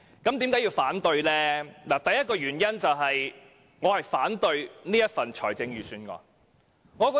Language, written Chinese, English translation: Cantonese, 我提出反對的第一個原因，是我反對本年度的財政預算案。, The first reason for my opposition is that I object to this years Budget